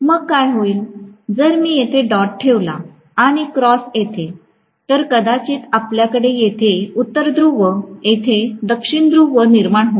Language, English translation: Marathi, Then what will happen is if I pass dot here and cross here, maybe I will create North Pole there and South Pole here, that is it